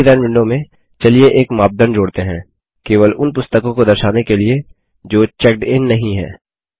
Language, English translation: Hindi, In the Query Design window, let us add a criterion to show only those books that are not checked in